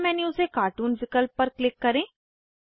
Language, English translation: Hindi, Click on Cartoon option from the sub menu